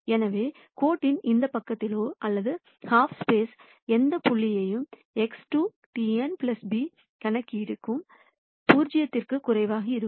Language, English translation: Tamil, So, any point on this side of the line or the half space the computation X 2 transpose n plus b is going to be less than 0